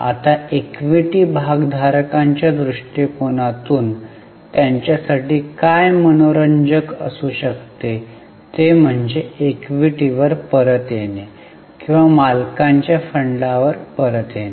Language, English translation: Marathi, Now, from the equity shareholders angle, what could be interesting to them is return on equity or return on owner's fund